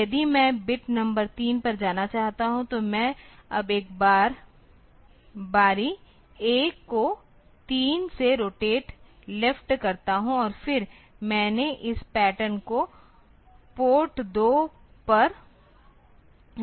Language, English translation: Hindi, So, I now do a rotate left A by 3 rotate left by 3 and then I put this pattern onto port 2